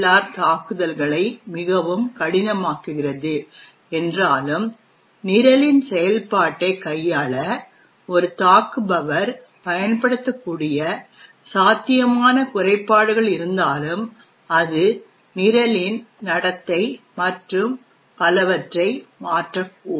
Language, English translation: Tamil, So in this way even though ASLR actually makes attacks much more difficult but still there are potential flaws which an attacker could use to manipulate the working of the program, it could actually change the behaviour of the program and so on